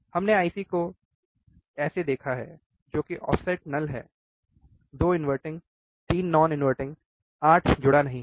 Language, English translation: Hindi, We have seen the IC from one which is offset null, right 2 inverting 3 non inverting Vee, right 8 is not connected